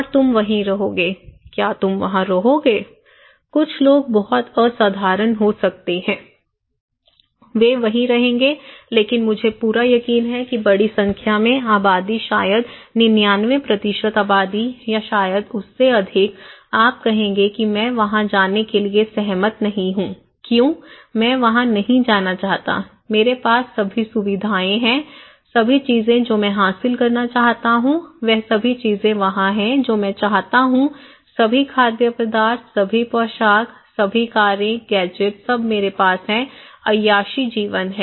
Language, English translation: Hindi, And you will stay there; will you stay there; well, some people may be very exceptional, they will stay there but I am quite sure that large number of populations maybe 99% population or maybe more than that, you would say that I would not agree to go there, why; I do not want to go there, I have all the facilities, all the things I want to achieve there is there, all the things I want, all the foods, all the dress, all the cars, gadgets, all I have; luxury life